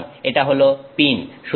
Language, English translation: Bengali, So, this is the pin